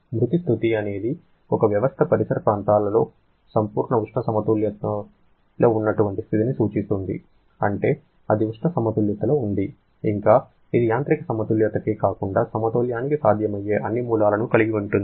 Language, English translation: Telugu, Dead state refers to the state when a system is in perfect thermal equilibrium with the surrounding, means it is in thermal equilibrium, it is in mechanical equilibrium and all possible source of equilibrium